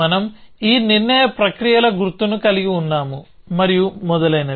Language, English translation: Telugu, So, we have this mark of decision processes and so on